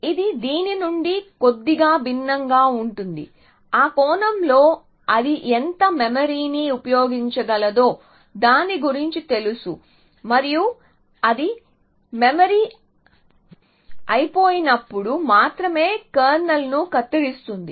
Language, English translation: Telugu, So, it is a little bit different from this in that sense that its aware of how much memory it can use and only prunes kernel when it is running out of memory